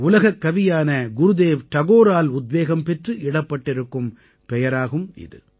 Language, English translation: Tamil, He has been so named, inspired by Vishwa Kavi Gurudev Rabindranath Tagore